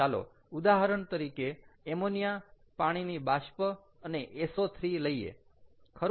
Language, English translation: Gujarati, so let us take one example over here: ammonia and hydrogen fluoride